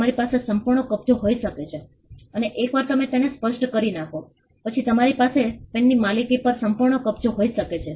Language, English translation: Gujarati, You could have complete possession and once you clear it off, then you could have complete possession on ownership of the pen